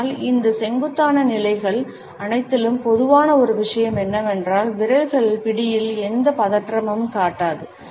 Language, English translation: Tamil, But one thing which is common in all these steepling positions is that that the fingers do not display any tension in the grip